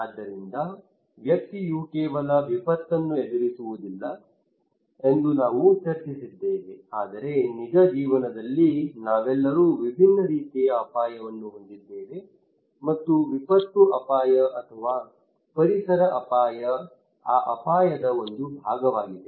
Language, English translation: Kannada, So we discussed that individual does not face only disaster, but in real life we all have different kind of risk, and disaster risk or environmental risk or ecological risk is just one part of that risk